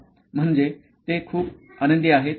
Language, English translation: Marathi, Meaning, they are very happy